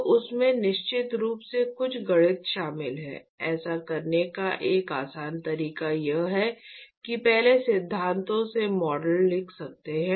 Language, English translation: Hindi, So, that involves some math of course, a simpler way to do this is one can write model from first principles